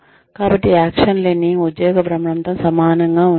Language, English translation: Telugu, So, action learning is similar to job rotation